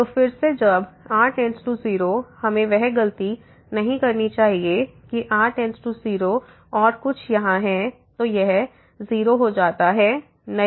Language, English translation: Hindi, So, again when goes to 0, we should not do that mistake that goes to 0 and something is here; so it is it becomes 0, no